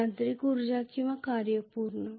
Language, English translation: Marathi, Mechanical energy or work done